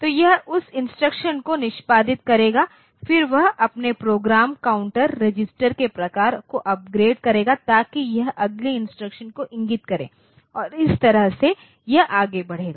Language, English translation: Hindi, So, it will take that instruction execute it then it will upgrade its program counter type of registers so that it points to the next instruction and that way it will go on